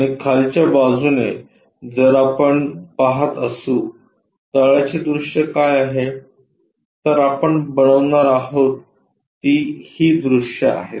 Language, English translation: Marathi, And from bottom if we are looking what is that bottom view, these are the views what we are going to construct it now